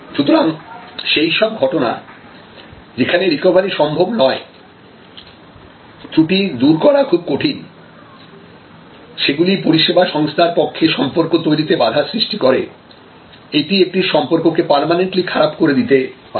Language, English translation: Bengali, So, in this kind of situation, where there is recovery is not possible, really the redressal is very difficult and that actually will limit the service organizations ability to develop the relationship; that it may permanently damage a particular relationship